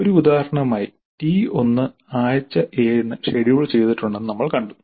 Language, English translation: Malayalam, As an example, we saw that T1 is scheduled for week 7